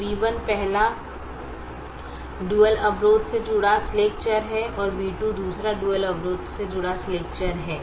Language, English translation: Hindi, so v one is the slack variable associated with the first dual constraint and v two is the slack variable associated with the second dual constraint